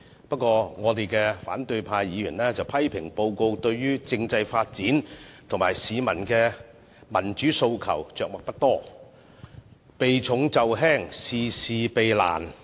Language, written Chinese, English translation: Cantonese, 不過，我們的反對派議員批評報告，對政制發展和市民的民主訴求着墨不多，避重就輕，事事避難。, However Members of the opposition camp criticized the Policy Address for making not much mentioning of constitutional development and peoples aspiration for democracy thereby evading important issues and avoiding difficult tasks